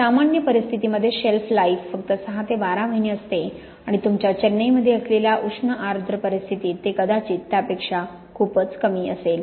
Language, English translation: Marathi, In typical conditions the shelf life will be only about six to twelve months and in hot humid conditions such as you have here in Chennai it will probably be quite a lot shorter than that